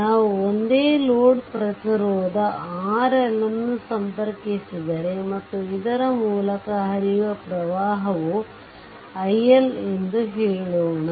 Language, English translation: Kannada, Suppose, if we connect a same load resistance R L, this is also R L right, and current flowing through this is say i L